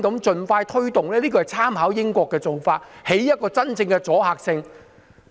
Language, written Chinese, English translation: Cantonese, 這是參考英國的做法，希望能夠收真正的阻嚇作用。, This is modelled on the practice in the United Kingdom and I hope it can really create a deterrent effect